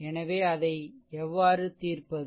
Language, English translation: Tamil, Right, how to solve it